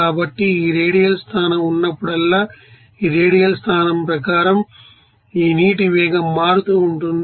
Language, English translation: Telugu, So, whenever this radial position will be there, according to this radial position this velocity of this you know water will be changing